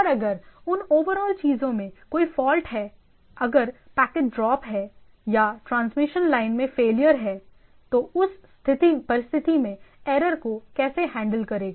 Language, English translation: Hindi, And if there is a fault in that overall things, if there is a packet drop or there is a failure in the transmission line; so what is the error handling